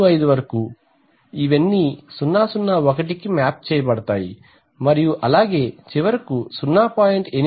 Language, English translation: Telugu, 25 all these will get mapped to 001 and so on, and finally point 0